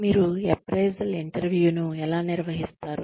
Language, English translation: Telugu, How do you conduct the appraisal interview